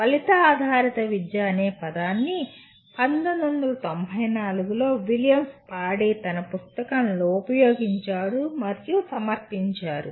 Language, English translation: Telugu, The term outcome based education was first used and presented by William Spady in his book in 1994